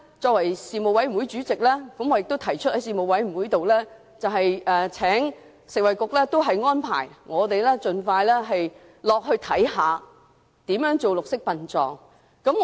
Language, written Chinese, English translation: Cantonese, 作為事務委員會主席，我亦曾在事務委員會上促請食物及衞生局，為議員盡快安排參觀綠色殯葬的具體情況。, As the Chairman of the Panel I have urged the Food and Health Bureau at a Panel meeting to expeditiously arrange a visit for Members to understand the actual operation of green burial